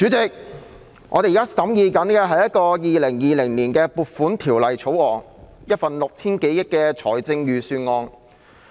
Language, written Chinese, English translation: Cantonese, 主席，我們現正審議《2020年撥款條例草案》，一份涉及 6,000 多億元開支的財政預算案。, President we are now considering the Appropriation Bill 2020 relating to the Budget involving an expenditure of some 600 billion